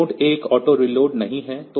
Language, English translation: Hindi, So, this is not auto reload